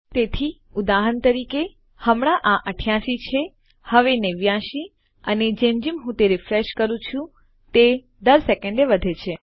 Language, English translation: Gujarati, So for example, at this moment you can see this 88, now 89 and as I keep refreshing, by every second this increases